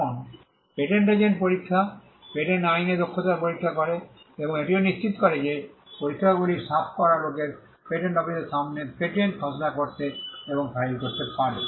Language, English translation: Bengali, Now, the patent agent examination, tests proficiency in patent law, and it also ensures that the people who clear the exam can draft and file patents before the patent office